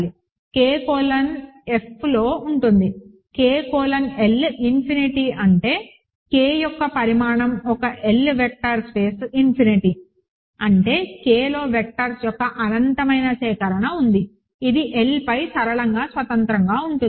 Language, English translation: Telugu, So, K colon is in F, K colon L is infinity means the dimension of K as an L vector space is infinity; that means, there is an infinite collection of vectors in K which are linearly independent over L